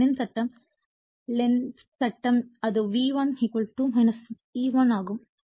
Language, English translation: Tamil, So, Lenz’s law, Lenz law it is actually V1 = minus E1 right